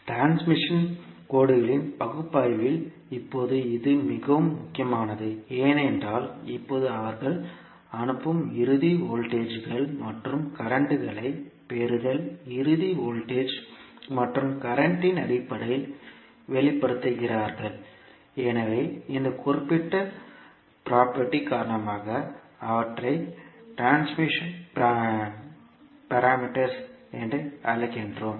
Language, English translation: Tamil, Now this is very important in the analysis of transmission lines because now they are expressing the sending end voltages and currents in terms of receiving end voltage and current so because of this particular property we call them as a transmission parameters